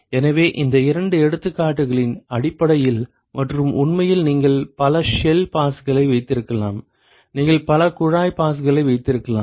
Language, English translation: Tamil, So, simply based on these two examples and in fact, you can have multiple shell passes, you can have multiple tube passes